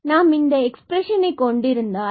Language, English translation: Tamil, So, let us prove this result, how do we get these expressions